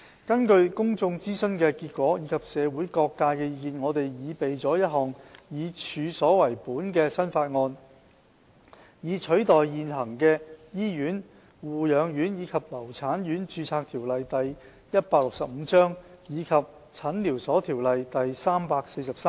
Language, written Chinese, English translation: Cantonese, 根據公眾諮詢的結果及社會各界的意見，我們擬備了一項以處所為本的新法案，以取代現行的《醫院、護養院及留產院註冊條例》及《診療所條例》。, According to the consultation outcomes and the views from various sectors we have drawn up a new piece of premises - based legislation to replace the existing Hospitals Nursing Homes and Maternity Homes Registration Ordinance Cap . 165 and the Medical Clinics Ordinance Cap